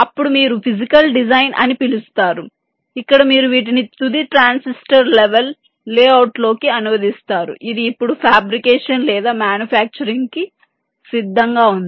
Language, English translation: Telugu, then you go into something called physical design, where you translate these into the final transistor level layout which is now ready for fabrication or manufacturing